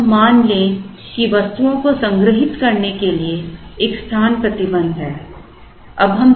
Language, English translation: Hindi, Let us assume that there is a space restriction to store the items